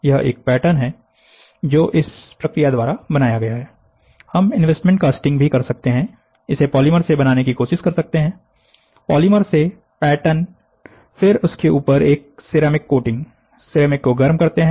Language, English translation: Hindi, This is a pattern which is created by this process, investment casting also we can do, we can try to take this out of polymer, pattern out of polymer, then what we do is, we give a ceramic coating on top of it, heat the ceramic